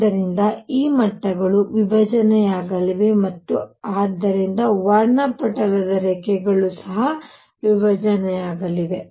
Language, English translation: Kannada, So, these levels are going to split and therefore, the lines in the spectrum are also going to split